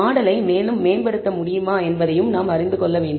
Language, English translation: Tamil, We also need to know can we improvise the model further